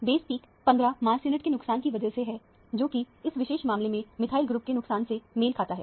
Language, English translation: Hindi, The base peak is because of the loss of 15 mass units, which corresponds to the loss of a methyl group in this particular case